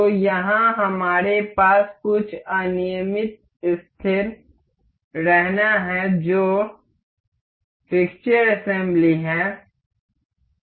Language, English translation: Hindi, So, here we have some random fix say fixture assembly